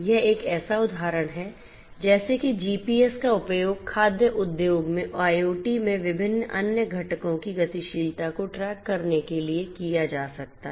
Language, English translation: Hindi, This is a just an example like this GPS could be used for tracking the movement mobility of different other components in the IoT in the food industry